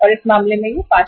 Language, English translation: Hindi, In this case it is 5 Rs